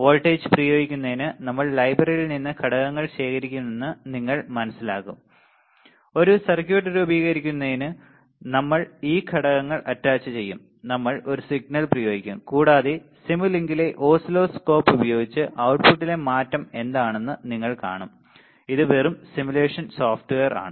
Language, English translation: Malayalam, To apply voltage, you see we will gather the components from the library, we will attach this components to form a circuit we will apply a signal and you will see what is the change in output using the oscilloscope in simulink which just simulation software